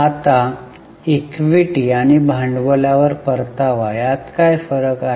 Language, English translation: Marathi, Now what is the difference with return on equity and return on capital